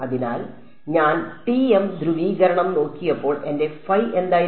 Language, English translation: Malayalam, So, when I looked at TM polarization, so, what was my phi